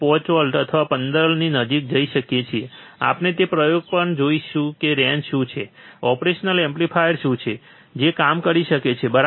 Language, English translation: Gujarati, 5 or close to 15, we will see that experiment also that what is the range, what is the range of the operational amplifier that can work on, alright